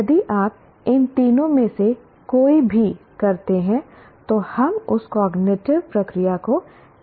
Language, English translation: Hindi, If you do any of these three, we call it that cognitive process as analyzed